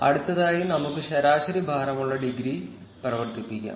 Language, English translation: Malayalam, Next, let us run the average weighted degree